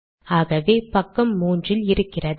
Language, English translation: Tamil, So this is in page 3